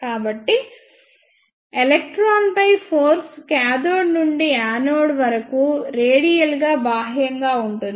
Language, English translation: Telugu, So, the force on electron will be from cathode to anode radially outward